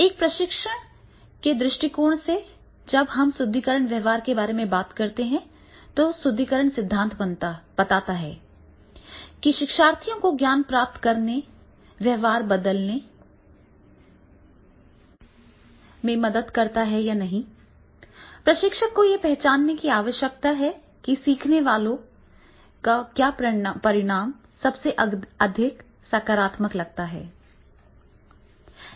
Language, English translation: Hindi, From a training perspective when we talk about the reinforcement of behavior then the reinforcement theory suggests that for learners to acquire knowledge change behavior or modify skills, the trainer needs to identify what outcomes the learner finds most positive